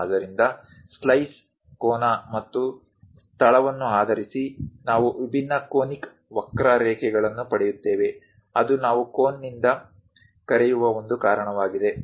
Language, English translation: Kannada, So, based on the slice angle and location, we get different conic curves; that is a reason we call, from the cone